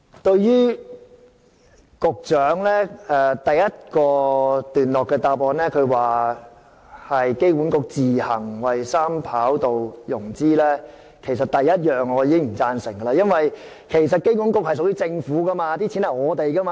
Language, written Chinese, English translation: Cantonese, 對於局長在主體答覆第一段提到機管局自行為三跑道系統進行融資，我首先不表贊成，因為機管局是公營機構，其資金是市民的金錢。, In the first paragraph of his main reply the Secretary said that AA would finance 3RS by itself and I have to say in the first place that I do not agree with this because AA is a public organization and its money comes from the publics pocket